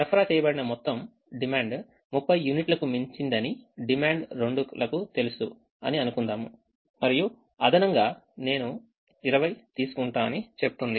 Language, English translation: Telugu, the demand two, let's assume, knows that the total supplied exceeds total demand by thirty units and says: up to twenty extra i can take